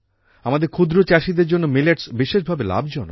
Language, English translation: Bengali, For our small farmers, millets are especially beneficial